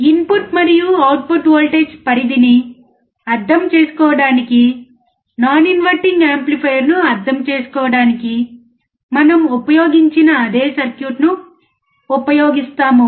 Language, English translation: Telugu, To understand the input and output voltage range, we use the same circuit that we used for understanding the non inverting amplifier